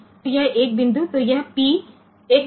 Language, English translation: Gujarati, So, this 1 point so this P 1